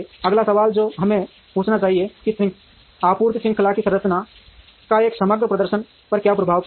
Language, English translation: Hindi, The next question that we should ask is how will the structure of the supply chain have an impact on the overall performance